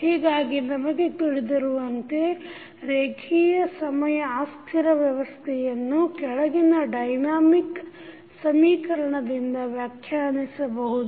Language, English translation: Kannada, So, we know that the linear time invariant system can be described by following the dynamic equation